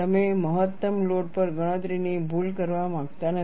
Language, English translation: Gujarati, You do not want to make a calculation error on the maximum load